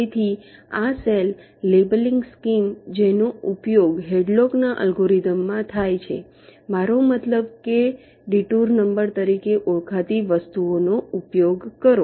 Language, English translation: Gujarati, so this cell labeling scheme that is used in hadlocks algorithm, i mean use a, something called detour numbers